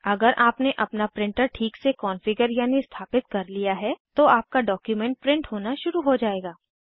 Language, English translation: Hindi, If you have configured your printer correctly, your document will started printing